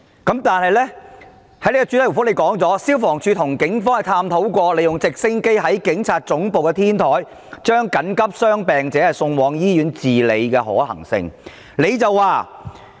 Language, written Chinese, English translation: Cantonese, 但是，局長在主體答覆中表示，消防處跟警方探討過，利用直升機在警察總部的天台將緊急傷病者送往醫院治理的可行性。, However the Secretary indicated in the main reply that FSD had discussed with the Police the feasibility of transferring the emergency patients to hospitals for treatment from the rooftop of PHQ by helicopter